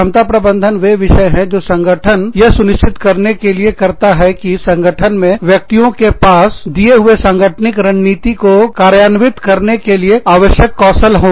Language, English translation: Hindi, Competence management is, those things, that the organization does, to ensure that, the individuals in the organization, have the skills required, to execute a given organizational strategy